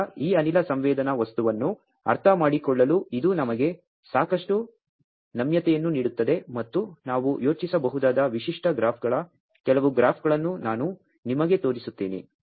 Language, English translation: Kannada, So, this gives us lot of flexibility to understand this gas sensing material and I will show you some of the graphs that typical graphs which we can think of